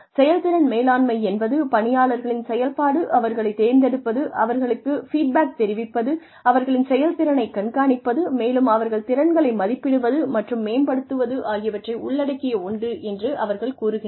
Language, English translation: Tamil, And, they said that, it is you know, performance management is a function of, selection of the employees, of giving feedback, of monitoring their performance, which is appraisal and development of their skills